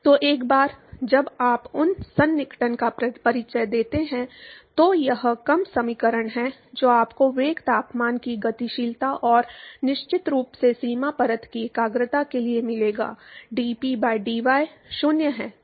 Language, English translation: Hindi, So, once you introduce those approximation, this is the reduced equation that you will get for the dynamics of the velocity temperature and the concentration of the boundary layer of course, dP by dy is 0